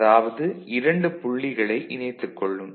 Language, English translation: Tamil, So, these 2 points will get connected ok,